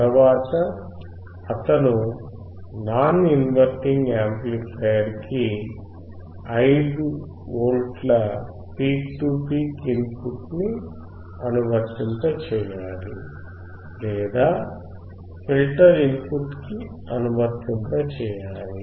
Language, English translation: Telugu, Now next thing he has to do is he has to apply 5V peak to peak to the input of the non inverting amplifier or into the input of the filter